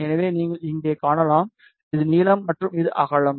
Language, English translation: Tamil, So, you can see here this is length and this is width